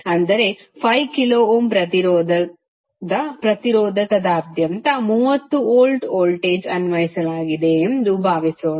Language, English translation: Kannada, That is supposed a 30 volt voltage is applied across a resistor of resistance 5 kilo Ohm